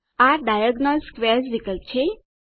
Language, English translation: Gujarati, This is the Diagonal Squares option